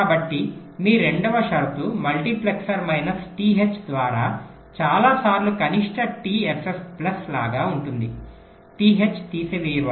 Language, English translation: Telugu, so your second condition will be like this: several time minimum t f f plus by multiplexer, minus t h, t h will get subtracted